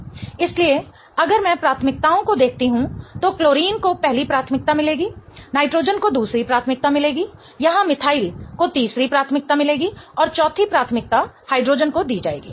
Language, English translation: Hindi, So, if I look at the priorities, chlorine will get the first priority, nitrogen will get the second priority, methyl here will get the third priority and fourth priority will be given to the hydrogen